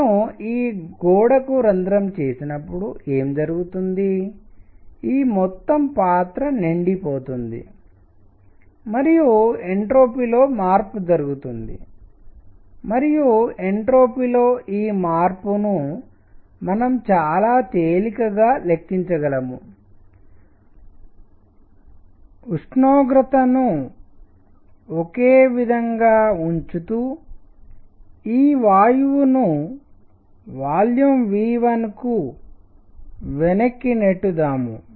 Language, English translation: Telugu, When I puncture this wall, what happens is this entire entire container gets filled and there is a change in entropy and this change in entropy can we calculate very easily what we do is push this gas back to volume V 1 keeping the temperature the same